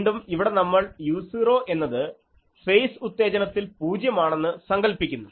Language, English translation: Malayalam, So, again we assume here actually that means, here we have assumed that u 0 is 0 in phase excitation